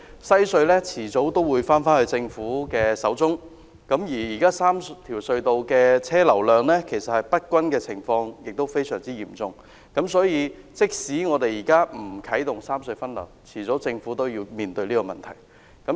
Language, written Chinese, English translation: Cantonese, 西隧遲早會由政府擁有，而現時3條隧道車流量不均的情況非常嚴重，所以政府即使現在不啟動三隧分流，未來也要面對這個問題。, The Western Harbour Crossing WHC will ultimately be owned by the Government and the situation of uneven traffic flows of the three tunnels is very serious . Even if the Government does not rationalize traffic distribution among the three tunnels at the moment it still has to face the problem in the future